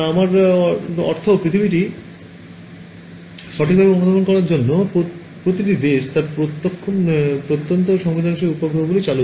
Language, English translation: Bengali, I mean every country launches its remote sensing satellites to sense the earth right